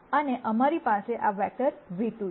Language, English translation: Gujarati, And we have this vector nu 2